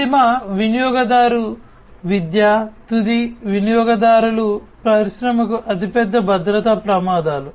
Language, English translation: Telugu, End user education, end users are the biggest security risks for an industry